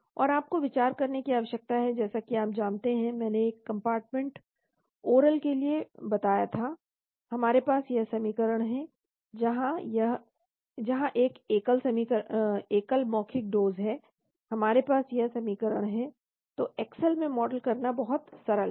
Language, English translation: Hindi, And all you need to consider as you know I mentioned for a one compartment oral we have this equation, where a single oral does we have this equation, so it is very simple to model in Excel